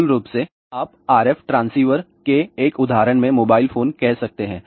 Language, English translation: Hindi, Basically, you can say mobile phone in an example of RF transceiver